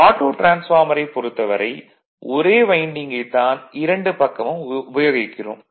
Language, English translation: Tamil, For Autotransformer, the same winding we are using for both right